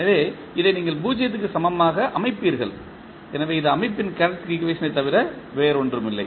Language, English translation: Tamil, So, you will set this equal to 0, so this will be nothing but the characteristic equation of the system